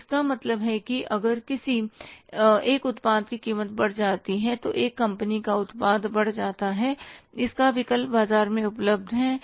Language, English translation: Hindi, So, it means if the price of one product goes up, one company's product goes up, its substitute is available in the market